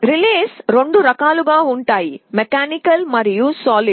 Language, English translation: Telugu, Relays can be of two types, mechanical and solid state